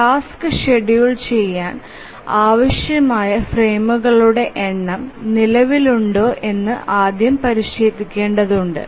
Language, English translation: Malayalam, The first thing we need to check whether the number of frames that we require to schedule the task exists